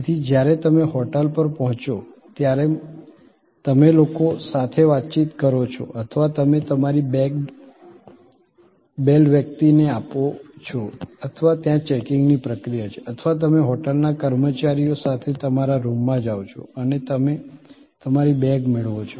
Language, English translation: Gujarati, So, when you are interacting with the people when you arrive at the hotel or you give your bags to the bell person or there is a checking in process or you go to your room with the hotel personnel and you receive your bags